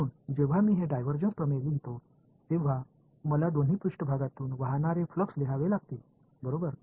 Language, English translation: Marathi, So, when I write down this divergence theorem, I have to right down the flux through both surfaces right